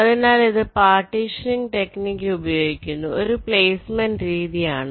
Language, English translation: Malayalam, so this is a placement strategy which uses partitioning technique